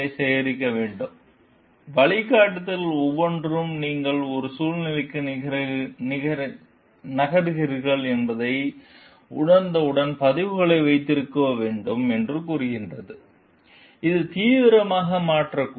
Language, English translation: Tamil, So, the guidelines each tells like you have to keep records as soon as you realize that you are moving into a situation, which may become serious